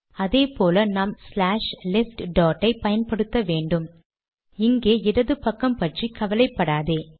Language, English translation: Tamil, Similarly , here we have to say slash left dot, dont worry about the left here